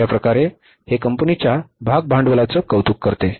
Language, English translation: Marathi, So that way it appreciates the share capital of the company